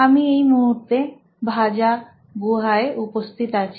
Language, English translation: Bengali, We are right now in Bhaja Caves